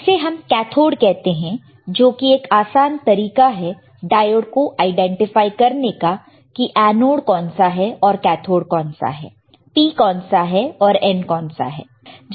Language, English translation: Hindi, There is a cathode is easy way of identifying diode which is anode, which is cathode which is P which is N